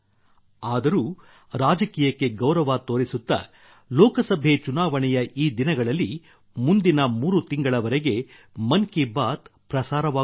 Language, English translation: Kannada, But still, adhering to political decorum, 'Mann Ki Baat' will not be broadcast for the next three months in these days of Lok Sabha elections